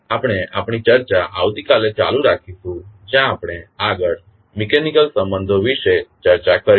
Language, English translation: Gujarati, We will continue our discussion tomorrow where, we will discuss about the further mechanical relationship